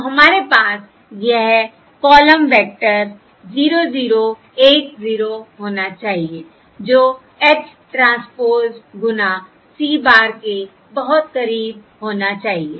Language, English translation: Hindi, yeah, So what we should have is this column vector: 0 0 1 0 should be very close to H transpose times C bar